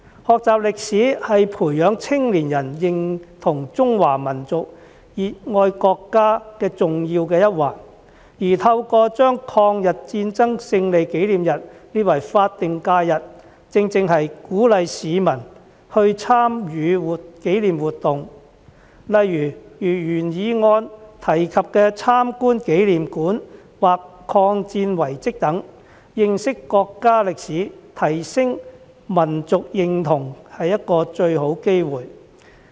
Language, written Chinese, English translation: Cantonese, 學習歷史是培養青年人認同中華民族、熱愛國家的重要一環，而透過把抗日戰爭勝利紀念日列為法定假日，正正是鼓勵市民參與紀念活動，例如原議案提及的參觀紀念館或抗戰遺蹟等，是認識國家歷史、提升民族認同的一個最好機會。, Studying history is indispensable in cultivating young peoples identification with the Chinese nation and their love for the country . The designation of the Victory Day of the War of Resistance as a statutory holiday can rightly encourage people to participate in commemorative activities such as visiting memorial halls or war relics as mentioned in the original motion which is the best opportunity to learn about the history of the country and enhance national identity